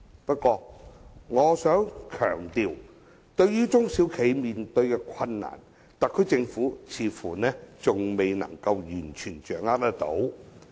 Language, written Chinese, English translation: Cantonese, 不過，我想強調，對於中小企面對的困難，特區政府似乎仍未能完全掌握。, However I must point out that the SAR Government seems to fail to fully grasp the difficulties faced by SMEs